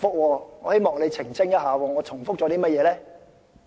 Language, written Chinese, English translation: Cantonese, 我希望你澄清一下，我重複了甚麼？, I hope you can clarify which points I have repeated